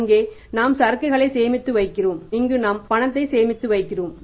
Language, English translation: Tamil, There we are storing the inventory or the goods here we are storing the cash